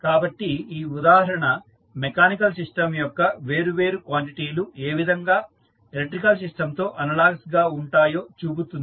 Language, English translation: Telugu, So, this example shows that how the different quantities of mechanical system are analogous to the electrical system